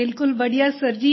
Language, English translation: Hindi, Very well Sir